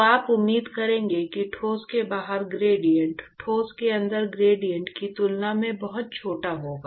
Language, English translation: Hindi, So, you would expect that the gradient outside the solid is going to be much smaller than the gradient inside the solid